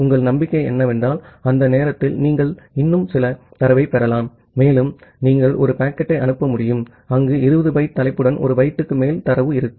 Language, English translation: Tamil, And your hope is that by that time you may get some more data and you will be able to send a packet where with 20 kilobyte of sorry 20 byte of header you will have more than 1 byte of data